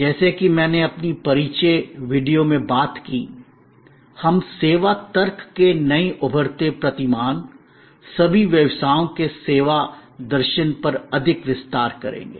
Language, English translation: Hindi, As I have talked about that in the introduction video, we will expand more on that new emerging paradigm of the service logic, service philosophy of all businesses